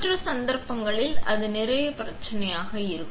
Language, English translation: Tamil, In other cases also, it will be a lot of problem